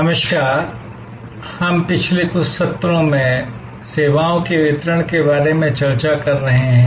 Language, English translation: Hindi, Hello, we have been discussing over the last few sessions about distribution of services